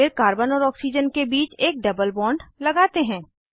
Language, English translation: Hindi, Then, let us introduce a double bond between carbon and oxygen